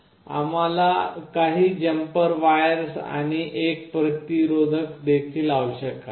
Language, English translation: Marathi, We also require some jumper wires, and a resistor